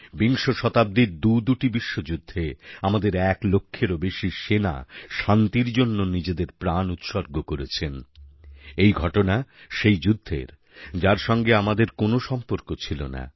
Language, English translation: Bengali, In the two worldwars fought in the 20th century, over a lakh of our soldiers made the Supreme Sacrifice; that too in a war where we were not involved in any way